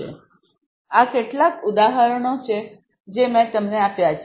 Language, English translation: Gujarati, So, these are some examples that I have given you